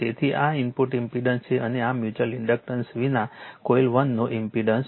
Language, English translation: Gujarati, So, this is input impedance and this is the impendence of the coil 1 without mutual inductance right